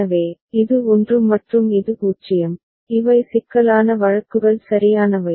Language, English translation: Tamil, So, this is 1 and this is 0, these are the problematic cases right